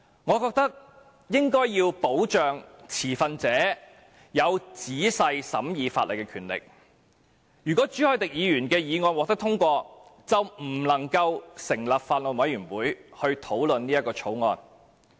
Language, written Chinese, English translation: Cantonese, 我認為應該要保障持份者有仔細審議法例的權力，如果朱凱廸議員的議案獲得通過，便不能夠成立法案委員會討論《條例草案》。, In my view the rights of stakeholders to examine the Bill in detail should be safeguarded . If Mr CHU Hoi - dicks motion is passed we cannot establish a Bills Committee to discuss the Bill